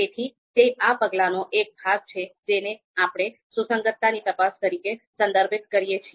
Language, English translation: Gujarati, So that is part of this particular step that is which we refer as consistency check